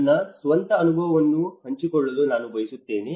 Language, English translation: Kannada, I would like to share my own experience